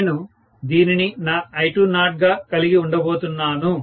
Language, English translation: Telugu, So, I am going to have this as my I20